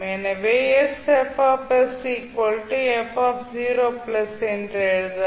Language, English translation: Tamil, So what you will write